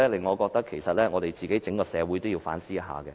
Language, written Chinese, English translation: Cantonese, 我認為整個社會應該反思一下。, I think the whole community should reflect on that